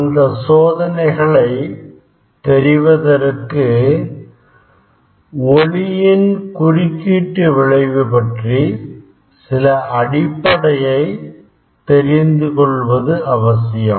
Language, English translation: Tamil, to understand those experiments, some basic concept of interference of light or waves should be clear